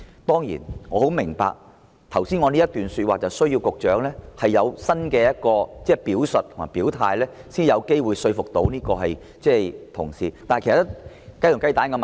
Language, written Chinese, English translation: Cantonese, 當然，我十分明白，我剛才這番話需要局長作出新的表述和表態，才有機會說服同事，但這是雞與雞蛋的問題。, Certainly I fully understand that my remarks can only convince Members if the Secretary states his new stance but this is a chicken and egg question